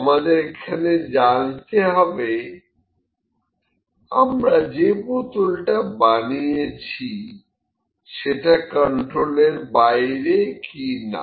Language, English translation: Bengali, Now, we need to see that the bottles that we have produced are they in controller out of control